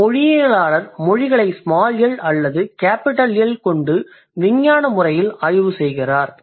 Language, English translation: Tamil, So, linguists are the specialists who study both language with a big L and languages with small L